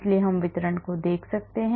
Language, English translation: Hindi, So, we can look at the charge distribution